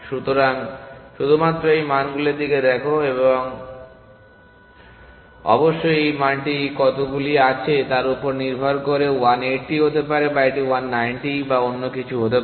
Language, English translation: Bengali, So, generate only look at those values, so depending on of course how many there are this value could be 1 80 or it could be 1 90 or whatever essentially